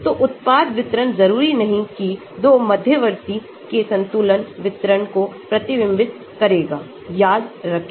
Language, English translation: Hindi, So, the product distribution will not necessarily reflect the equilibrium distribution of the 2 intermediates remember that